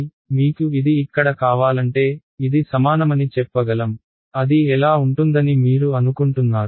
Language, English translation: Telugu, So, if I want this over here so, I can say this is equal to what do you think it will be